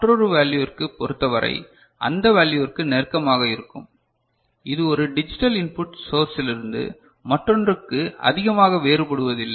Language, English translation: Tamil, For another value, it will be you know close to that value it is not varying too much from one digital input source to another